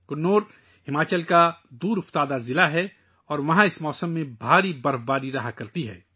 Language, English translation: Urdu, Kinnaur is a remote district of Himachal and there is heavy snowfall in this season